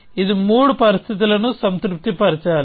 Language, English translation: Telugu, It must satisfy three conditions